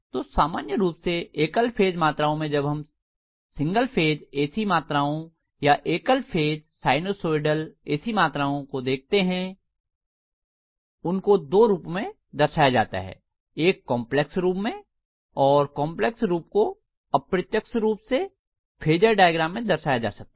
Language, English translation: Hindi, So in general single phase quantities when we look at single phase AC quantity or single phase sinusoidal AC quantities, they are represented mainly in two forms, one is in complex form and the complex form indicated is also indirectly translating into phasor diagram